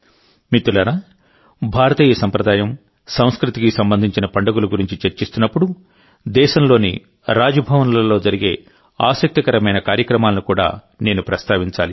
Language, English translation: Telugu, Friends, while discussing the festivals related to Indian tradition and culture, I must also mention the interesting events held in the Raj Bhavans of the country